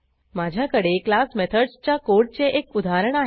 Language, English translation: Marathi, I have a working example of class methods code